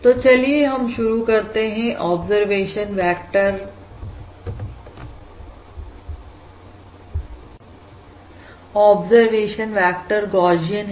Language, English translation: Hindi, that is, the observation vector is Gaussian